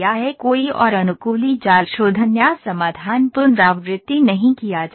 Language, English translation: Hindi, No further adaptive mesh refinement or solution iteration is performed